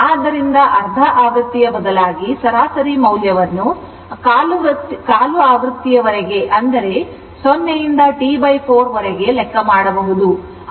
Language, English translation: Kannada, So, instead of half cycle average value you can make it quarter cycle also 0 to T by 4